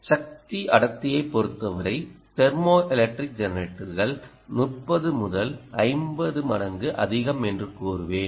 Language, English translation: Tamil, well, in terms of power density, i would say ah, thermoelectric generators are even thirty to fifty times higher